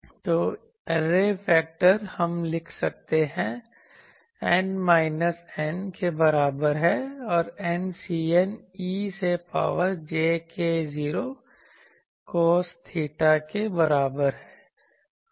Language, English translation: Hindi, So, the array factor, we can write as n is equal to minus N to capital N C n e to the power j k 0 n d cos theta